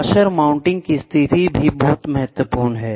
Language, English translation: Hindi, The position of mounting, mounting the washer is also very important